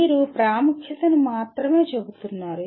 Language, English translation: Telugu, You are only stating the importance